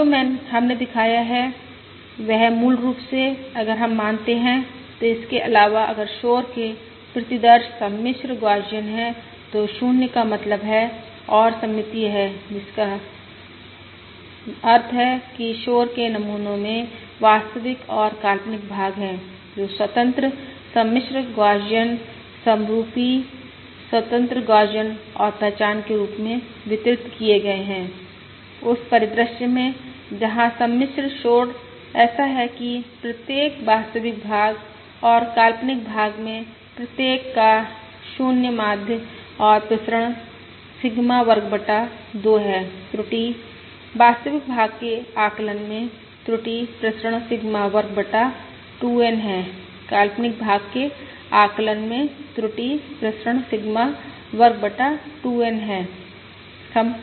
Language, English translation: Hindi, ya, And what we have shown is basically, if we assume, in addition, if the noise samples are complex, Gaussian, 0 mean and symmetric, which means the noise samples have real and imaginary parts which are independent, complex, Gaussian, identically independent, Gaussian and identically distributed, in that scenario where the complex noise is such that each, the real part and the imaginary part, ah, each have 0 mean and variance, Sigma square by 2